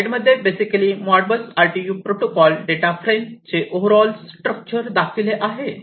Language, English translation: Marathi, So, here is basically the overall structure of the Modbus RTU protocol data frame